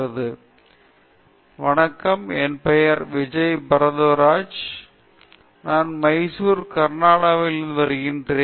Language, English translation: Tamil, Hello my name is Vijay Bharadwaj, I hail from Mysore Karnataka